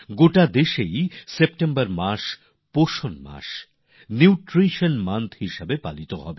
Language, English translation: Bengali, The month of September will be observed as Nutrition Month in the entire nation